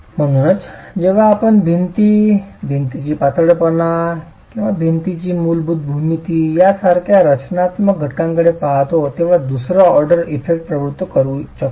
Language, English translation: Marathi, So the moment we look at structural elements like walls, the slendiness of the wall, the basic geometry of the wall can start inducing second order effects